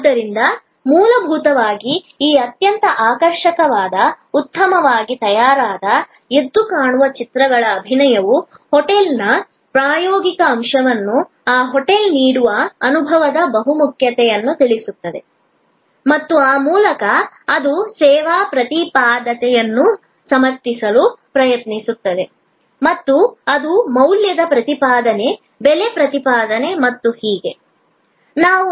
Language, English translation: Kannada, So, fundamentally this very attractive, well prepared, campaign with vivid images convey the experiential element of the hotel, the versatility of experience offered by that hotel and thereby it tries to justify the service proposition as versus it is value proposition, price proposition and so on